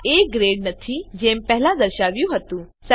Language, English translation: Gujarati, It is not A grade as it displayed before